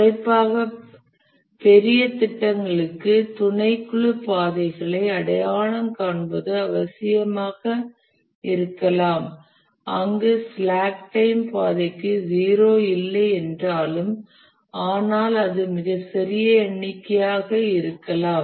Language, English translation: Tamil, Especially for larger projects, it may be also necessary to identify the subcritical paths where the slack time even though is not zero for the path but then it may be a very small number